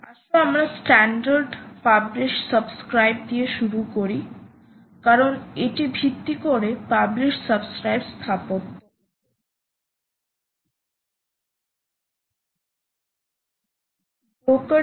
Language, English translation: Bengali, all right, so lets start with the standard: ah, publish subscribe, because this is based on the publish subscribe architecture